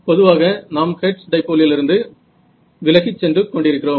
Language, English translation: Tamil, So, in general, so, we are moving away from hertz dipole right